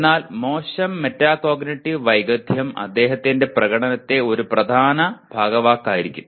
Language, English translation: Malayalam, There could be other deficiencies but poor metacognitive skill forms an important big part of his performance